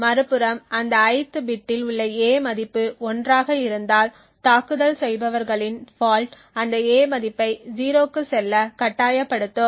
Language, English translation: Tamil, On the other hand if the value of a in that ith bit was 1 the attackers fault would force the value of a to go to 0